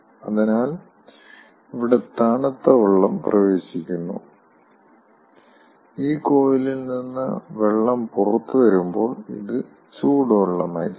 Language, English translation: Malayalam, cold water is entering and when water will come out of this coil, this will be hot water